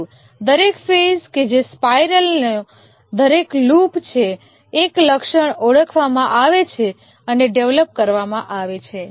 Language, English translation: Gujarati, But over each phase, that is each loop of the spiral, one feature is identified and is developed